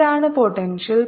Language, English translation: Malayalam, what is the potential